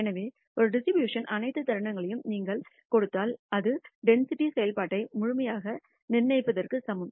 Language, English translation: Tamil, So, if you give all the moments of a distribution it is equivalent to stipulating the density function completely